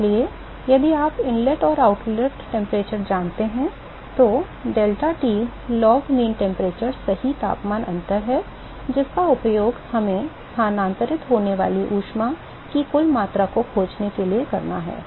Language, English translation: Hindi, So, if you know the inlet and outlet temperatures then deltaT log mean temperature is the correct temperature difference that we have to use for finding the total amount of heat that is transferred